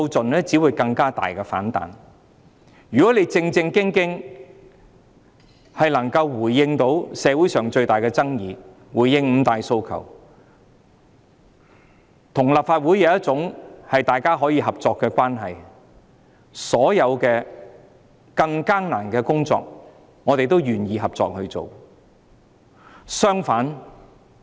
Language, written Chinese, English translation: Cantonese, 如果政府能夠正正經經回應社會上最大的爭議、回應五大訴求，與立法會建立合作關係，所有更艱難的工作，我們也願意合作。, If the Government can seriously respond to the greatest controversy in society respond to the five demands establish a cooperative relationship with the Legislative Council we would be willing to cooperate with it in respect of all tasks however harsh